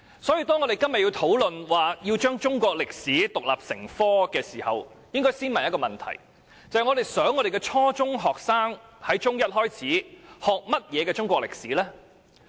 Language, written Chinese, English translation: Cantonese, 所以，當我們今天討論中史獨立成科時，應先問一個問題：我們想我們的初中學生自中一起學習甚麼中國歷史？, So today when we discuss making Chinese History an independent subject we should first ask ourselves one question What kind of Chinese history do we want our junior secondary students to learn starting from Secondary One?